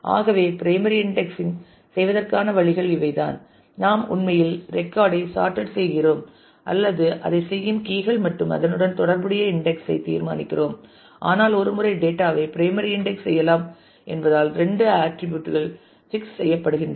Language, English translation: Tamil, So, these were the ways to do the primary indexing where we decide the order in which we actually keep the record sorted or the fields on which we do that and the index associated with it, but once since the data can be primarily indexed on one or couple of attributes and that gets fixed